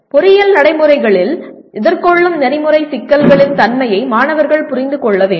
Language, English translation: Tamil, Students should understand the nature of ethical problems they face in engineering practices